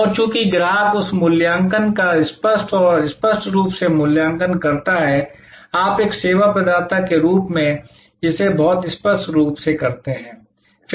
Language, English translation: Hindi, And since the customer evaluates that explicitly and implicitly, you as a service provider must do this very explicitly